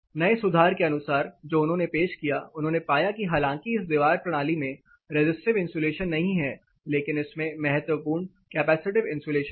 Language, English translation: Hindi, As per the new enhancement which they have introduced they found that though this wall system does not have the resistive insulative property this has a crucial factor of capacitive insulation